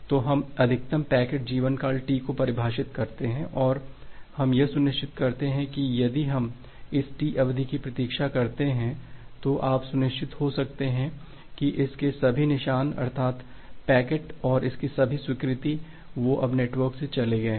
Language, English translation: Hindi, And we make it sure that if we wait for this T duration, then if you wait for this T duration then, you can be sure that all traces of it, that means, the packet and also its acknowledgement, they are now gone from the network